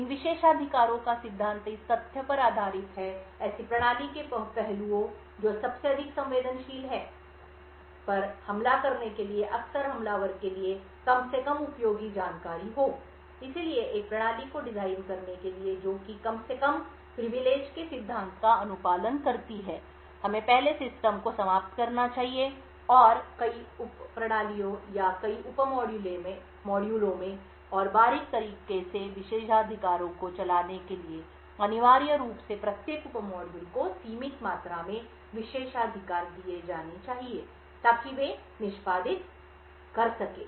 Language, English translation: Hindi, Principle of these privileges is based on the fact that aspects of the system most vulnerable to attack quite often have the least useful information for the attacker, so in order to design a system which complies with the Principle of Least Privileges we should first decompose the system into several sub systems or several sub modules and run privileges in a fine grained manner essentially each of the sub modules should be given just limited amount of privileges so that it can execute